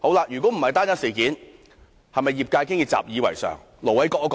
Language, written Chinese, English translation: Cantonese, 如果這不是單一事件，是否業界早已習以為常？, If this is not an individual case has the industry long got used to such a practice?